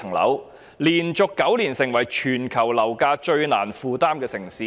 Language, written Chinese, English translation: Cantonese, 香港連續9年成為全球樓價最難負擔的城市。, For nine consecutive years Hong Kong has become the least affordable housing market in the world